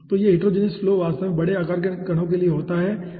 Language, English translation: Hindi, so this heterogeneous flow actually occurs for larger size of the particles